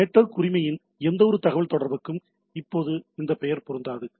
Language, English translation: Tamil, Now this name will not be applicable for any communication over the network right